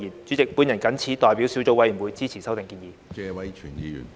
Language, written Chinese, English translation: Cantonese, 主席，我謹此代表小組委員會支持修訂建議。, President on behalf of the Subcommittee I hereby support the proposed amendment